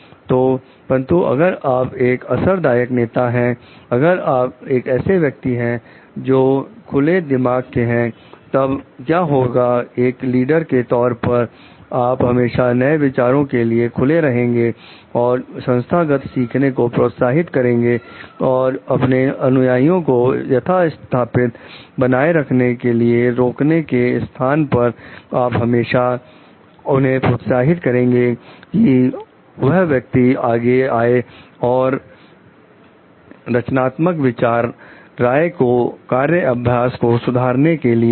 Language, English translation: Hindi, So, but if you are a effective leader, if you are a person who has an open mind, then what happens like as leader you should always be open to new ideas and foster organizational learning and rather than restricting your followers to the status quo, you will always encourage that person to come up with creative ideas, suggestions for improving the work practices